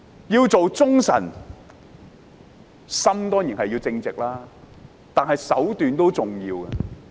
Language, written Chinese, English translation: Cantonese, 要做忠臣，心當然要正直，但手段也同樣重要。, In order to be loyalists we certainly need to be honest and upright but the means we adopt are likewise important